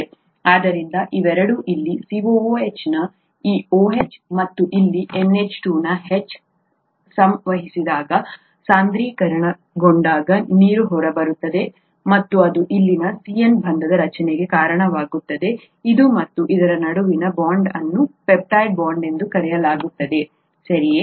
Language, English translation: Kannada, So when these two interact this OH of the COOH here, and this H of the NH2 here, condense out, the water comes out and it results in the formation of the CN bond here, the bond between this and this, this is called the peptide bond, okay